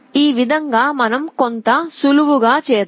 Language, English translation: Telugu, In this way let us do some simplification